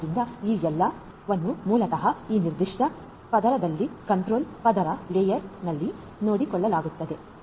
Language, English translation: Kannada, So, all of these basically are taken care of in this particular layer the control layer